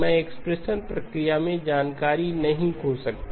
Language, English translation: Hindi, I cannot lose information in the expansion process